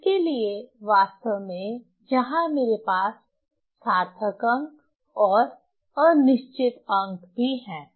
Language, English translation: Hindi, So, for these actually here I have written significant digit and doubtful digit